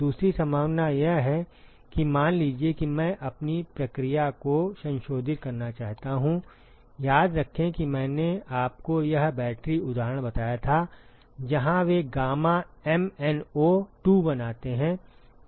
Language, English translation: Hindi, The second possibility is suppose I want to modify my process, remember I told you this battery example where they make gamma MnO2